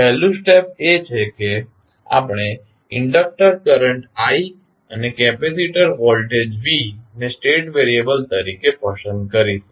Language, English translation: Gujarati, First step is that what we will select the inductor current i and capacitor voltage v as a state variable